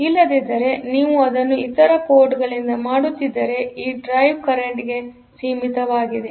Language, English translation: Kannada, Otherwise if you are doing it for from other ports; so, this the drive current is limited